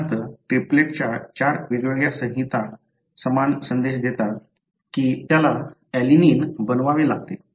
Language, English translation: Marathi, For example, four different codes of triplets give the same message that it has to make alanine